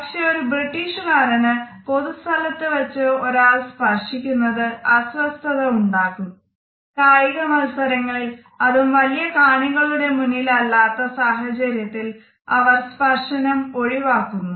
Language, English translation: Malayalam, Whereas people in the Britain feel very uncomfortable if somebody touches them in public and this touch is absolutely avoided except perhaps on the sports field and that too in front of a large audience